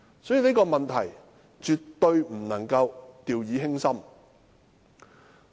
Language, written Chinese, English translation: Cantonese, 所以，這方面絕不能掉以輕心。, Hence this must not be handled hastily